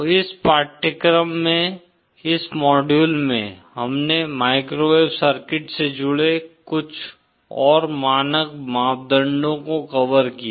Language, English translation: Hindi, So in this course, in this module, we covered some of the more standard parameters associated with microwave circuits